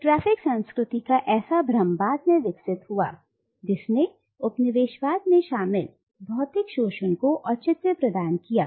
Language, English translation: Hindi, Such an illusion of a static cultural essence only developed later to provide a justification for the material exploitation that colonialism involved